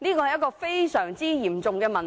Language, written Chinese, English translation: Cantonese, 一個非常嚴重的問題。, A gravely serious problem